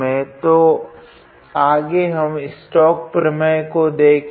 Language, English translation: Hindi, So, next we will look into stokes theorem